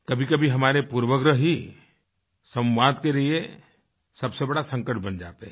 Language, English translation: Hindi, Sometimes our inhibitions or prejudices become a big hurdle in communication